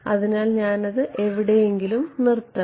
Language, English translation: Malayalam, So, I mean I have to stop it at some place